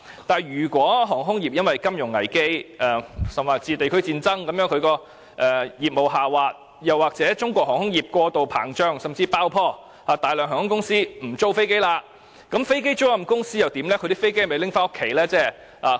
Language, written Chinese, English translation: Cantonese, 可是，一旦航空業因金融危機甚至地區戰爭而令業務下滑，或是中國航空業過度膨脹甚至爆破，導致大量航空公司不再租用飛機，那麼飛機租賃公司將會如何？, However if there is a business downturn of the aviation industry in the event of a financial crisis or even a regional war or the bursting of Chinas aviation bubble due to over - expansion whereby airline companies no longer have to lease aircrafts what will happen to the aircraft lessors?